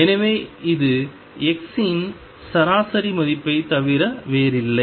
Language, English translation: Tamil, So, this is nothing but average value of x